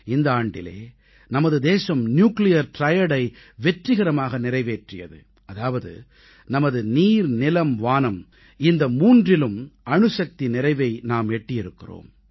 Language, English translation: Tamil, It was during this very year that our country has successfully accomplished the Nuclear Triad, which means we are now armed with nuclear capabilitiesin water, on land and in the sky as well